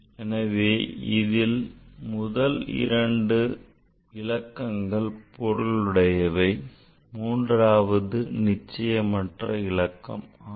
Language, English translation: Tamil, So, first two digit are significant digit and third one is doubtful digit